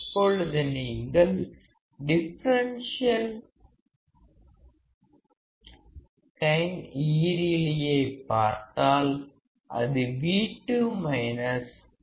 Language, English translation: Tamil, Now if you see infinite differential gain; it is V2 minus V1